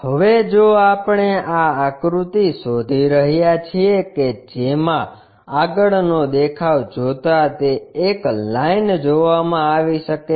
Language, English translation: Gujarati, Now, if we are looking for this figure that front view might be giving a line